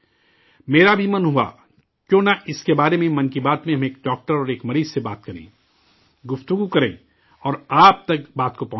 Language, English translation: Urdu, Why not talk about this in 'Mann Ki Baat' with a doctor and a patient, communicate and convey the matter to you all